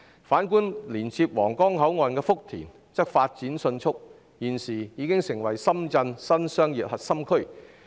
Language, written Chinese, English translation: Cantonese, 反觀連接皇崗口岸的福田區則發展迅速，現時已成為深圳的新商業核心區。, On the other hand the Futian district which adjoins the Huanggang Port has developed rapidly and now become a new central business district of Shenzhen